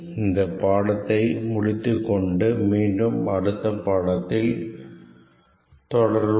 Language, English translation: Tamil, We will stop here and continue from this point in the next lecture